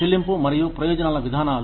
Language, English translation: Telugu, Pay and, benefits policies